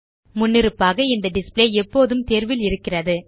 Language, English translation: Tamil, By default, this display is always selected